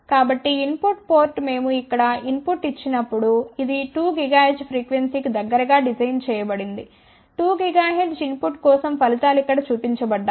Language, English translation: Telugu, so, input port when we give the input here this was designed around 2 gigahertz frequency the results are shown here for input of 2 gigahertz